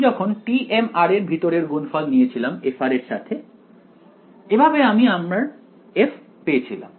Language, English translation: Bengali, It came when I took a inner product of t m r with f of r; that is how I got my f right